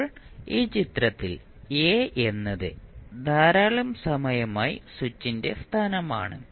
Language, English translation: Malayalam, Now, in this figure position a is the position of the switch for a long time